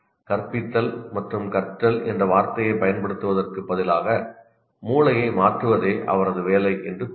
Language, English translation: Tamil, Instead of using the word teaching and learning, say his job is to change the brain